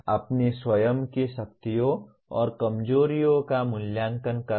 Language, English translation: Hindi, Evaluating one’s own strengths and weaknesses